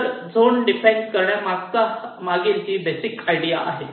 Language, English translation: Marathi, ok, so this is the basic idea behind zone representation